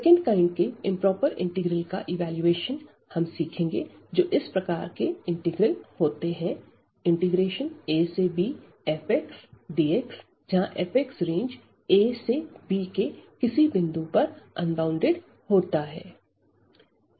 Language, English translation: Hindi, So, the evaluation of the improper integral of the second kind we will learn are the integral of the kind a to b f x dx where f x is unbounded at some point in the range a to b